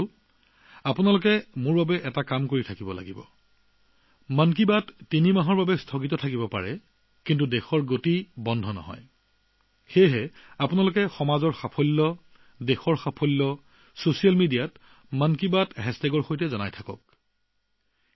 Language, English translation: Assamese, Even though 'Mann Ki Baat' is undergoing a break for three months, the achievements of the country will not stop even for a while, therefore, keep posting the achievements of the society and the country on social media with the hashtag 'Mann Ki Baat'